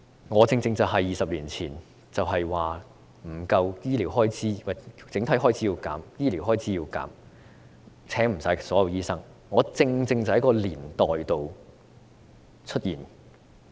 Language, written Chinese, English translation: Cantonese, 我正正是在20年前要削減整體開支、削減醫療開支、不能聘請所有醫科畢業生的那個年代畢業。, I graduated right in the era 20 years ago when the overall expenditure including health care had to be cut and it was impossible to employ all the medical graduates